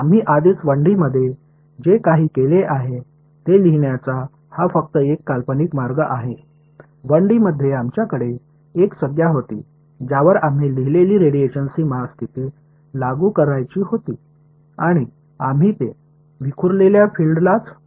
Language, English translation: Marathi, This is just a fancy way of writing what we have already done in 1D; in 1D we had a term we wanted to impose a radiation boundary condition we wrote we and we could only impose it on the scattered field